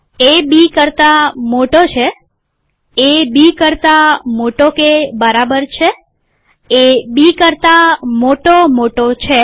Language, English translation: Gujarati, A greater than B, A greater or equal to B, A greater greater than B